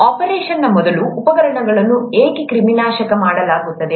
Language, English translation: Kannada, Why are instruments sterilized before an operation